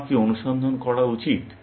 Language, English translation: Bengali, What should my search do